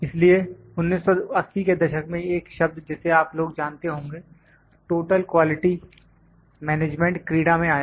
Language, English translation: Hindi, So, in 1980s the term you people might be knows Total Quality Management came into play